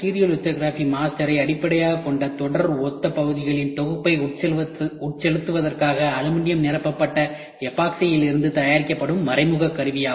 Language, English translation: Tamil, Indirect tooling rigid mold made from aluminium filled epoxy for injection molding of a set of series identical parts based on stereolithography master which is made